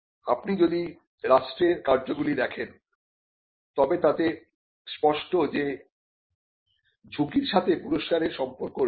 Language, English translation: Bengali, If you see the functions of the state, there are clear risk reward relationships